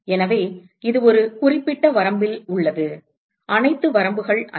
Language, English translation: Tamil, So, this is at a certain range not an all ranges